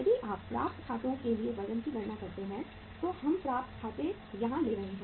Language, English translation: Hindi, If you calculate the weight for accounts receivable so we are taking accounts receivable yes